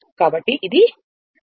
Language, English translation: Telugu, So, it is volt